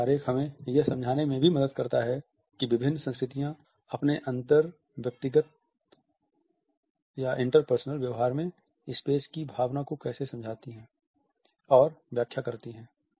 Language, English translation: Hindi, This diagram also helps us to understand how different cultures understand and interpret the sense of a space in their inter personal dealings